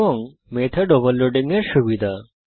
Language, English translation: Bengali, And advantage of method overloading